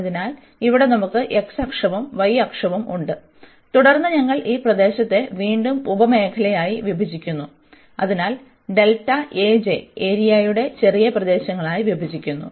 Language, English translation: Malayalam, So, here we have x axis and the y axis and then we divide again this region into sub regions so into a smaller regions of area delta A j